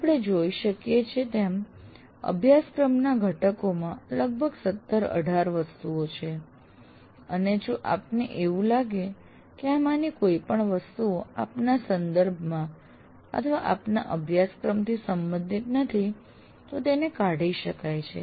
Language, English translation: Gujarati, Now as you can see, there are about 17, 18 items in this and if you consider any of these items are not relevant in your context or for your course, delete that